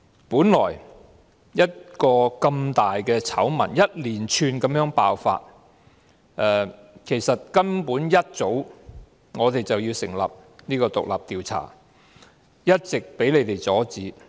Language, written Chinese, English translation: Cantonese, 本來如此大的醜聞一連串地爆發，其實根本我們一早便應成立獨立調查委員會，但一直被你們阻止。, If it was not for your repeated obstruction we would have indeed established an independent committee of inquiry long since given the magnitude of the scandals exploding one after another